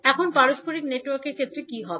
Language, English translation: Bengali, Now, what will happen in case of reciprocal network